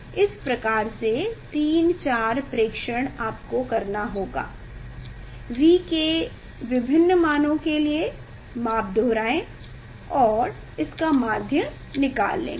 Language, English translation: Hindi, this type of 3, 4 measurement you should do, repeat the measurement for different value of V and take the mean of that